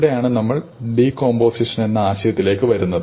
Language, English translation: Malayalam, So, here is where we come to the idea of decomposition, right